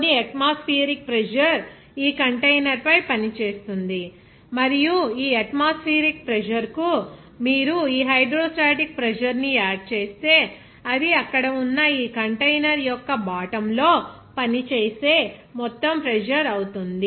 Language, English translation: Telugu, Some atmospheric pressure will be acting on this container and this atmospheric pressure if you add on this hydrostatic pressure, it will be total pressure that is acting on this bottom of this container there